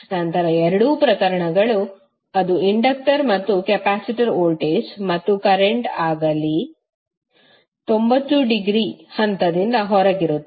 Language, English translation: Kannada, Then both of the cases, whether it is inductor and capacitor voltage and current would be 90 degree out of phase